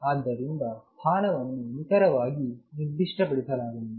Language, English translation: Kannada, So, notely the position is not specified exactly